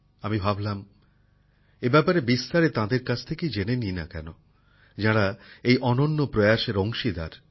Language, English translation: Bengali, I thought, why not ask about this in detail from the very people who have been a part of this unique effort